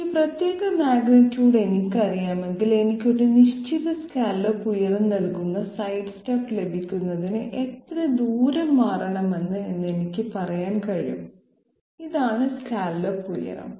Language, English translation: Malayalam, If I know this particular magnitude, I can say that yes I know how much distance I have to shift in order to get the sidestep which will give me a definite scallop height, this is the scallop height okay